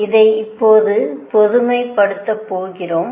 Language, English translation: Tamil, We are going to now generalized this